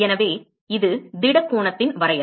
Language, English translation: Tamil, So this is the definition of solid angle